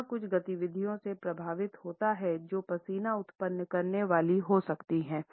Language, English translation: Hindi, It is also influenced by certain activities which may be sweat inducing